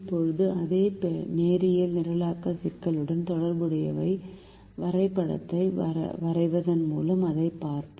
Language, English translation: Tamil, now we will see that by drawing the graph corresponding to the same linear programming problem